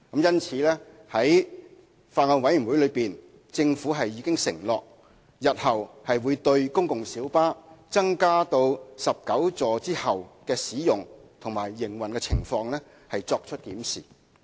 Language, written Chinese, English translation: Cantonese, 因此，在法案委員會會議上，政府已承諾日後會對公共小巴在增加至19個座位後的使用和營運情況，作出檢視。, Hence the Government has pledged at the meetings of the Bills Committee to review the use and operational conditions of PLBs in future after the increase in the seating capacity to 19